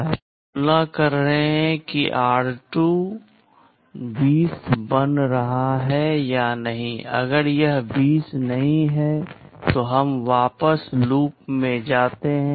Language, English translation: Hindi, Then we are comparing whether r2 is becoming 20 or not, if it is not 20 then we go back to loop